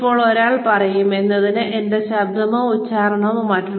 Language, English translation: Malayalam, Now, one will say, why should we change our voice or accent